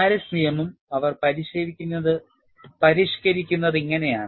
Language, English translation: Malayalam, And this is how they modified the Paris law